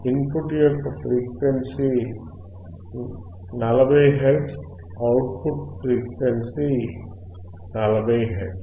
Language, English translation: Telugu, Frequency of input is 40 hertz; output frequency is 40 hertz